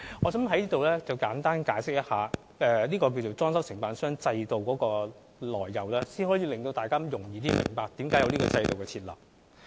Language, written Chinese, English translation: Cantonese, 我想在此簡單解釋一下，裝修承辦商制度的來由，讓大家較容易明白這個制度設立的原因。, I would like to briefly explain the origins of the DC System so that the reasons for its set - up are made known to all for easier understanding